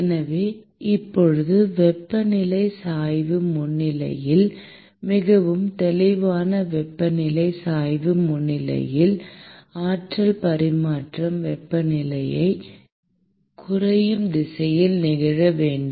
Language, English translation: Tamil, So, now, in the presence of a temperature gradient so clearly in the presence of a temperature gradient, what happens is that the energy transfer must occur in the direction of decreasing temperature